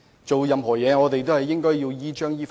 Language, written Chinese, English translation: Cantonese, 做任何事情，我們都應依章依法。, Whatever we do we must follow the proper rules and legislation